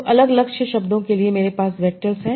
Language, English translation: Hindi, So, different target words, I have the vectors